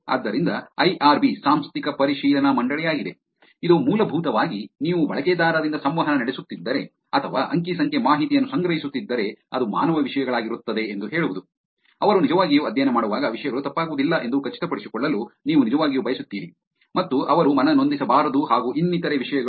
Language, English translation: Kannada, So, IRB is institutional review board, which is basically to say that if you are interacting or collecting data from users, it will be human subjects, you really want to make sure that things do not go wrong when they are actually doing the study, and they should not feel offended and things like that